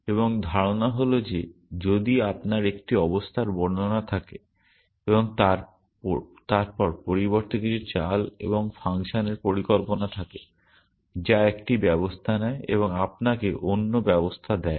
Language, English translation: Bengali, And the idea is that if you have a state description, then instead of devising a moves and function which gives takes one state and gives you another state